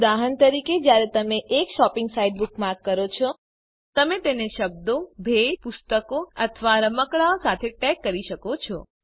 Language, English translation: Gujarati, * For example, when you bookmark a shopping site, * You might tag it with the words gifts, books or toys